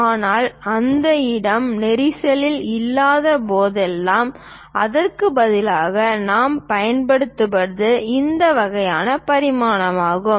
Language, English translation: Tamil, But whenever that space is not there congested instead of that what we use is this kind of dimensioning